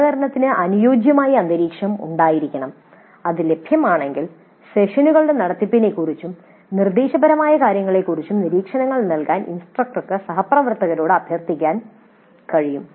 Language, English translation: Malayalam, So there must exist an environment which is conducive to cooperation and if that is available then the instructor can request the colleague to give observations on the contact of the sessions and the instructional material